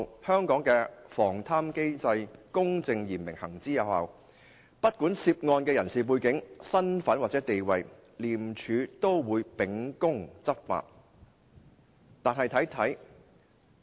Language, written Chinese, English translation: Cantonese, 香港的防貪機制公正嚴明，行之有效，不管涉案人士的背景、身份或者地位，廉政公署均會秉公執法"。, Our anti - corruption mechanism is fair vigorous and effective . The Independent Commission Against Corruption has been enforcing the laws impartially regardless of the background identity or status of the accused